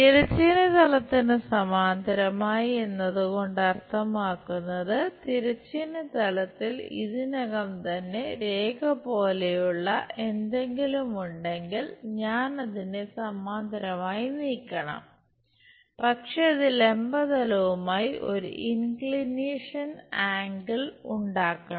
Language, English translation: Malayalam, Parallel to horizontal plane means; if something like line already present on the horizontal plane I should move it parallel, but that supposed to make an inclination angle with the vertical plane